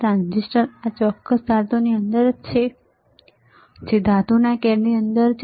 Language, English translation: Gujarati, Transistor is within this particular metal can all right within the metal can